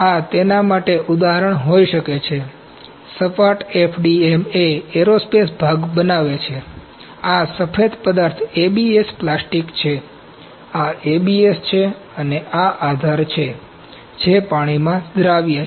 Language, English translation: Gujarati, This can be the example for that, the flat FDM produced aerospace part, this white material is the ABS plastic, this is ABS and this is support ok, that is water soluble